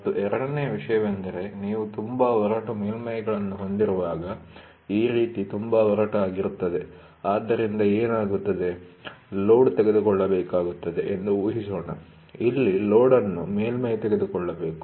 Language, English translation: Kannada, And second thing, when you have surfaces which are very rough, something like this very rough, ok, so then what happens, the load which is taken, suppose let us assume, here is a load which is to be taken by a surface